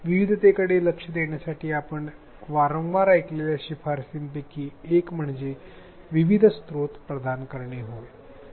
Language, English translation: Marathi, One of the recommendations that you may have heard often to address diversity is to provide a variety of resources